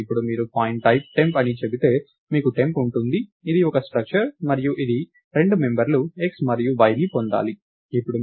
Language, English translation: Telugu, Now, if you say pointType temp, you have temp which is a structure and its supposed to get two members x and y